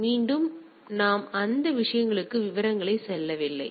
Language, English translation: Tamil, So, again we are not going details into those things